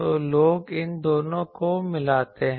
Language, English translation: Hindi, So, people mix these two